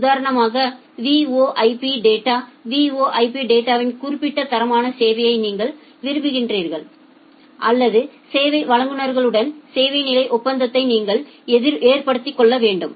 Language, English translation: Tamil, Say for example, if you want certain quality of service for the VoIP data, for the VoIP data, you have to go for a service level agreement with your service providers